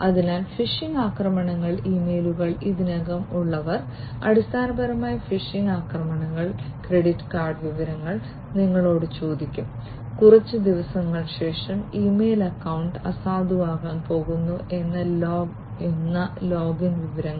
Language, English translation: Malayalam, So, phishing attacks, those of you who are already in the emails, you know, that many emails you get which are basically phishing attacks which will ask you for credit card information, the login information saying that the email account is going to be invalid after a few days, and so on